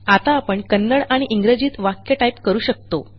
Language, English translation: Marathi, We will now type a sentence in Kannada and English